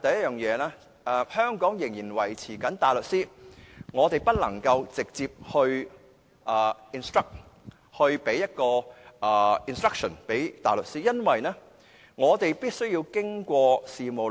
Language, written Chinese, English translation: Cantonese, 首先，香港仍然維持大律師制度，市民不能直接聘請大律師，而必須通過事務律師。, First Hong Kong still maintains a barrister system under which members of the public cannot directly hire barristers and they must do so through solicitors